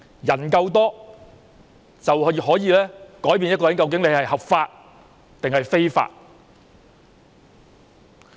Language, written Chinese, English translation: Cantonese, 人數多就可以改變行為合法還是非法。, People in large numbers can determine whether an act is lawful or unlawful